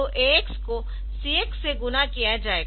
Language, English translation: Hindi, So, it will do like AX will be multiplied by CX